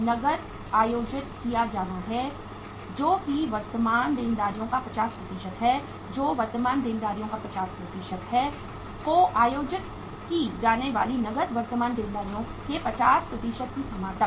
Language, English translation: Hindi, Cash is to be held to the extent of 15% of current liabilities that is the 15% of the current liabilities, uh cash to be held to the extent of 50% of the current liabilities